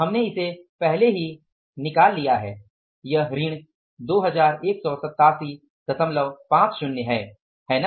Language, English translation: Hindi, We have already calculated this is minus 2187